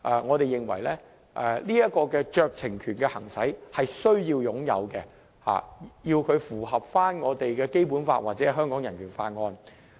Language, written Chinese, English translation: Cantonese, 我們認為這酌情權是有需要的，亦要符合《基本法》或《香港人權法案條例》。, We considered the discretionary power necessary and the provision of such a power essential for complying with the Basic Law or the Hong Kong Bill of Rights Ordinance